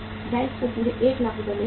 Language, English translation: Hindi, Bank would get entire 1 lakh rupees